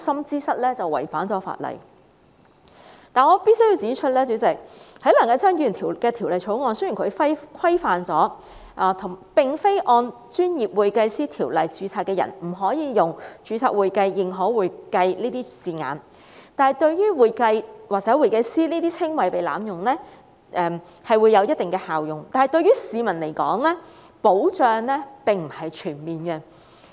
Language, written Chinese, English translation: Cantonese, 然而，主席，我必須指出，雖然梁繼昌議員的《條例草案》規範了並非按《專業會計師條例》註冊的人不可以使用"註冊會計"、"認可會計"等稱謂，對防止"會計"或"會計師"等稱謂被濫用將會有一定效用，但對於市民的保障並不全面。, Nonetheless President I must make one point clear as the Bill moved by Mr Kenneth LEUNG prohibits people not registered under the Professional Accountants Ordinance from using descriptions such as registered accounting and certified public accounting hence it can effectively prevent the abuse of descriptions such as accounting or accountant but the protection for the public is not comprehensive